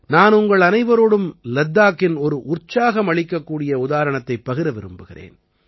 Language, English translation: Tamil, I want to share with all of you an inspiring example of Ladakh